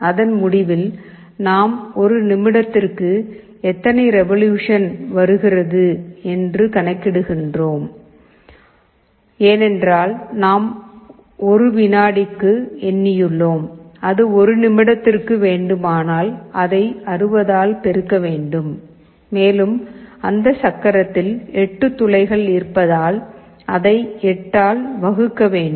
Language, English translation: Tamil, At the end of it we calculate revolutions per minute because, we have counted for 1 second, for 1 minute, it will be multiplied by 60, and because there are 8 holes in that wheel, we have to divide it by 8